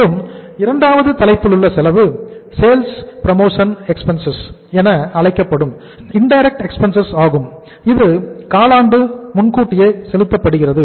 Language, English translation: Tamil, And then the second head of expense which is the indirect expense that is called as sales promotion expense paid quarterly in advance